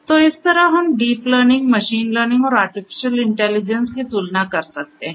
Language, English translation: Hindi, So, this is how this deep learning, machine learning, and art artificial intelligence is compared to one another